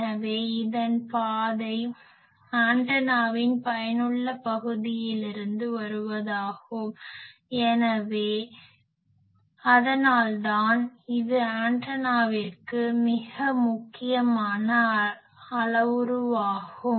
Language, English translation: Tamil, So, this route is through the effect area of the antenna that is why, it is a very important parameter for the antenna